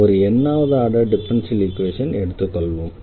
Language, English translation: Tamil, So, let this is the nth order differential equation